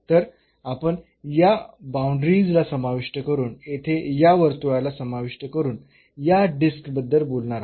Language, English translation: Marathi, So, we are talking about this disc including the boundaries including this circle here